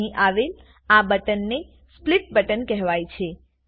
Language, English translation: Gujarati, Now this button here is called the Split button